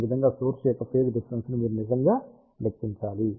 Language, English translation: Telugu, So, this is how you actually have to calculate the phase difference for all these element